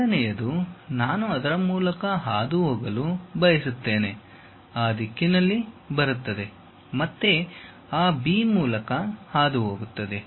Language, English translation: Kannada, The second one I would like to pass through that, comes in that direction, again pass through that B